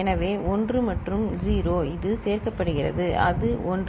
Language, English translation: Tamil, So, 1 and 0 it is getting added so, that is 1 right